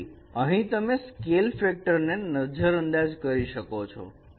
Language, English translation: Gujarati, So you can ignore the scale factor here